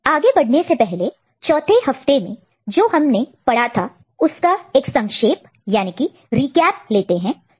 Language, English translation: Hindi, So, before that a quick recap of what we discussed in week 4